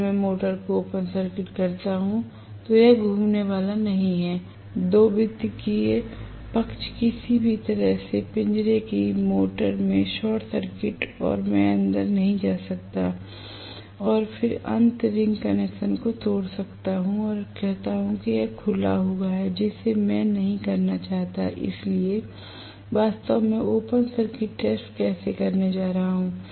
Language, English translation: Hindi, If I open circuit the induction motor it is not going to rotate and the secondary side is any way short circuited in a cage motor, I cannot get in and then break the end ring connection and say it is open circuited I do not want to do that, so how I am going to really do the open circuit test